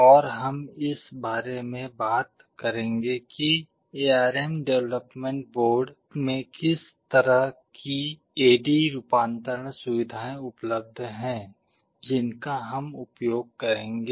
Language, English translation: Hindi, And we shall be talking about what kind of A/D conversion facilities are there in the ARM development board that we shall be using